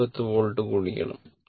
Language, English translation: Malayalam, So, it is said 310 volts right